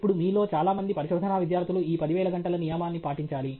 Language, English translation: Telugu, Now, many of you research students, put this 10,000 hour rule